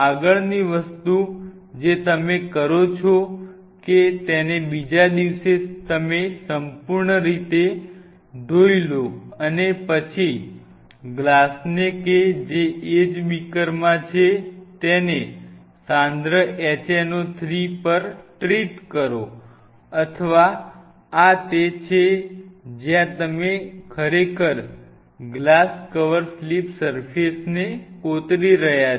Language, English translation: Gujarati, Next thing what you do you wash it completely, next day and then treat the glass these glasses exactly in the same beaker on concentrated hno 3, this is where you are really etching the glass cover slip surface